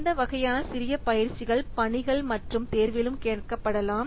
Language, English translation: Tamil, So, these types of small exercises may be asked in the assignments as well as in the examination